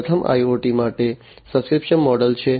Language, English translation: Gujarati, The first one is the subscription model for IoT